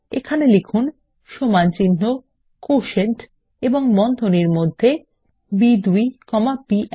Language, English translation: Bengali, And type is equal to QUOTIENT, and within the braces, B2 comma B1